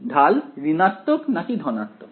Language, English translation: Bengali, The slope is negative or positive